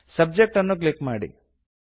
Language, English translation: Kannada, Simply click on Subject